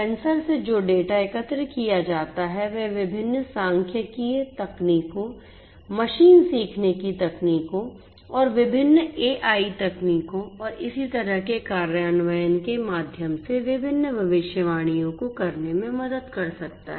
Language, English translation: Hindi, The data that are collected from the sensors can help in performing different predictions through the implementation of different statistical techniques, machine learning techniques, different AI techniques and so on